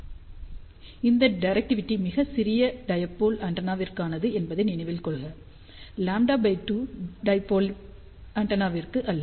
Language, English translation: Tamil, Please remember this directivity is for very small dipole antenna and not for lambda by 2 dipole antenna